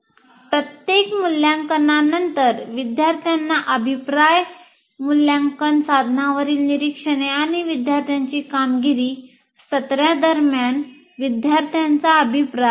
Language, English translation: Marathi, Semester and examination and then feedback to students after every assessment observations on assessment instruments and student performance, student feedback during the session